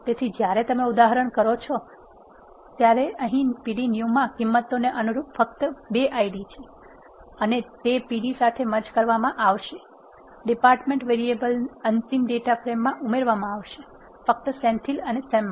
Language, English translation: Gujarati, So, well see that when you do the example, now here there are only 2 Ids corresponding to the values in p d new and that will be merged with pd, the variable department will be added to the final data frame, only for Senthil and Sam